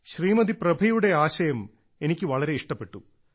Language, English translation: Malayalam, " I appreciate Prabha ji's message